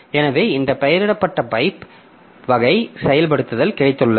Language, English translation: Tamil, So, we have got this named pipe type of implementation